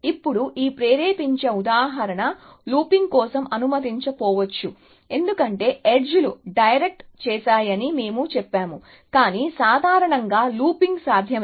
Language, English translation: Telugu, Now, this motivating example may not allow for looping, because we have said the edges are directed, but in general of course, looping is possible